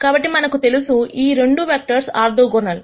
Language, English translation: Telugu, So, we know that these 2 vectors are orthogonal